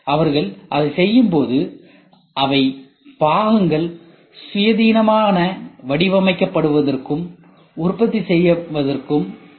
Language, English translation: Tamil, And when they do that they also makes where which enables components to be designed and produced independently